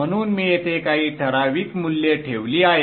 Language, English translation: Marathi, So I have put in some typical values here